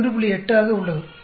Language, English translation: Tamil, 8 here, right